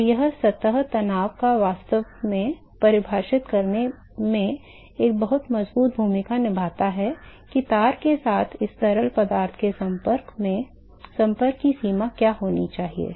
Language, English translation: Hindi, So, it is the surface tension plays a very strong role in actually defining what should be the extent of contact of this fluid with the wire